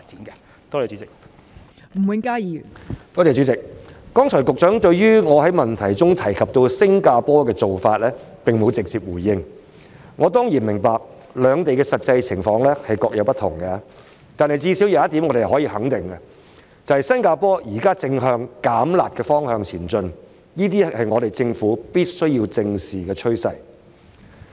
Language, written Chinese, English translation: Cantonese, 剛才局長並沒有直接回應我在質詢提到的新加坡做法，我當然明白兩地的實際情況不同，但最低限度有一點我們可以肯定的是，新加坡現正向"減辣"的方向前進，這是政府必須正視的趨勢。, In his reply just now the Secretary did not directly respond to my question about the Singapores approach . Of course I understand that the specificities of the two places are different . But at least we are certain about one point and that is the Singapore Government is working towards relaxation of its harsh measures